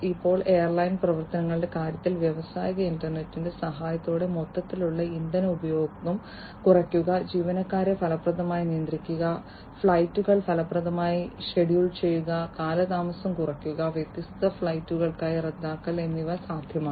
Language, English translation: Malayalam, Now, in terms of airline operations, with the help of the industrial internet it is now possible and it has become possible, to reduce the overall fuel consumption, to effectively manage the crews, to schedule the flights effectively, and to minimize delays, and cancellations of different flights